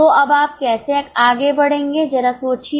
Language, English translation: Hindi, So, now how will you go ahead